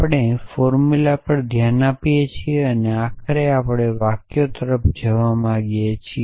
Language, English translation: Gujarati, We want look at formulas eventually we want to move towards sentences